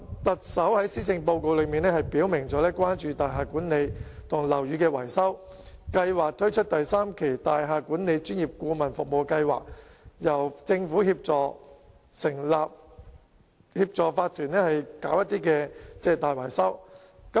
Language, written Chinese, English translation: Cantonese, 特首在施政報告表明關注大廈管理及樓宇的維修，提出會推出第三期大廈管理專業顧問服務計劃，由政府協助法團進行大維修。, In the Policy Address the Chief Executive stated clearly his concern about building management as well as building repairs and maintenance proposing the launch of Phase 3 of the Building Management Professional Advisory Service Scheme under which the Government will assist OCs to carry out repairs and maintenance works